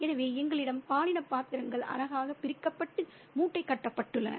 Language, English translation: Tamil, So we have gender roles there, neatly divided and parceled out